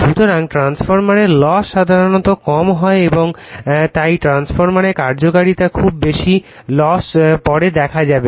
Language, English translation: Bengali, So, losses in transformers are your generally low and therefore, efficiency of the transformer is very high, losses we will see later